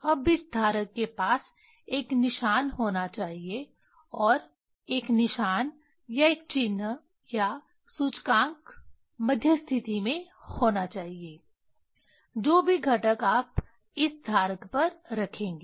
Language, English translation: Hindi, Now this holder should have a marker should have a marker or one mark or index in the middle position actually these whatever component you will put on this holder